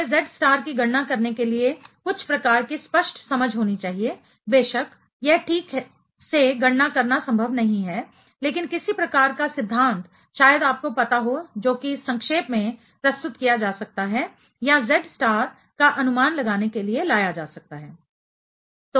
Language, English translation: Hindi, We should have some sort of clear understanding how to calculate the Z star; of course, it is not possible to calculate exactly, but some sort of theory perhaps can be you know can be summarized or can be brought to estimate the Z star